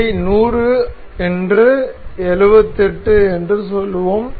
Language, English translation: Tamil, Let us make it 100 say 78